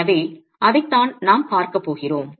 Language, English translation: Tamil, So, that's exactly what we'll be looking at